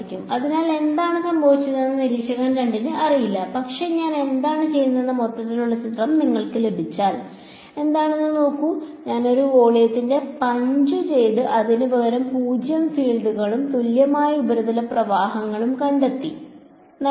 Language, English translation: Malayalam, So, observer 2 did not know what happened, but just see what is if you get the overall picture what have I done, I have punched out one volume and replaced it by a 0 fields and set of equivalent surface currents